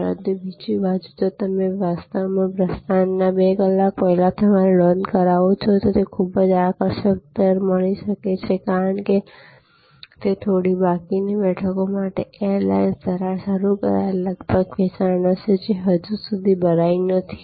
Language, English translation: Gujarati, But, on the other hand if you actually make your booking 2 hours prior to departure, you might get a very attractive rate, because it will be almost a sale initiated by the air lines for the few remaining seats, which are not yet filled